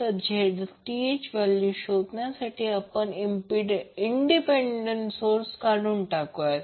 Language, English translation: Marathi, So, to find the Zth we remove the independent source